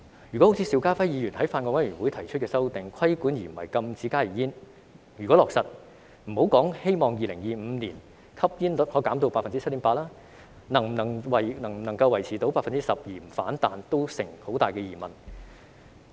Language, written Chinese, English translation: Cantonese, 如果落實好像邵家輝議員在法案委員會上提出的修訂，只是規管而不是禁止加熱煙，那莫說希望在2025年將吸煙率降低至 7.8%， 能否維持在 12% 而不反彈也存有很大疑問。, If the amendment proposed by Mr SHIU Ka - fai at the Bills Committee is implemented so that HTPs will only be subject to regulation but not a ban it is really doubtful if the smoking rate can be maintained at 12 % with no rebound not to mention the hope of reducing the smoking rate to 7.8 % by 2025